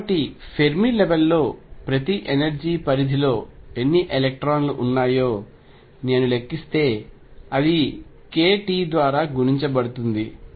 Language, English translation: Telugu, So, if I calculate how many electrons are there within per energy range on Fermi level multiplied by k t